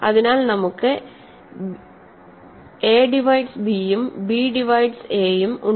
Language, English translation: Malayalam, So, we have a divides b and b divides a